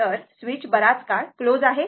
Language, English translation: Marathi, So, as switch is closed for long time